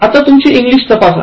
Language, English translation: Marathi, Now, test your English